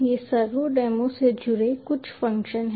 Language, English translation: Hindi, these are some of the functions associated with servodemo